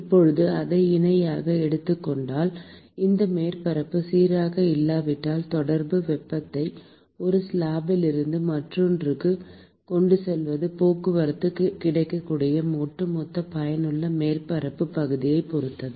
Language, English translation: Tamil, Now taking that parallel here, if this surface is not smooth, then the contact, the transport of heat from one slab to the other depends upon the overall effective surface area which is available for transport